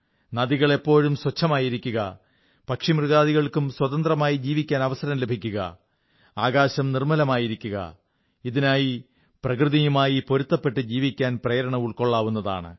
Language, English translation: Malayalam, For ensuring that the rivers remain clean, animals and birds have the right to live freely and the sky remains pollution free, we must derive inspiration to live life in harmony with nature